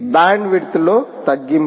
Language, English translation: Telugu, reduction in bandwidth